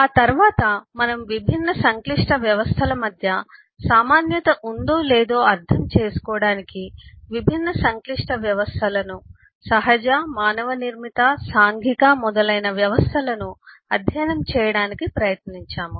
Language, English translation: Telugu, then we try to study different complex systems natural, manmade, social and so on to understand if there are commonality between difference complex systems